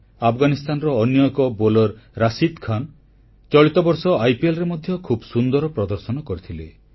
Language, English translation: Odia, Besides, bowler Rashid Khan had performed exceedingly well in the IPL earlier this year